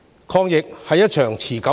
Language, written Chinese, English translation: Cantonese, 抗疫是一場持久戰。, The fight against the epidemic is a protracted battle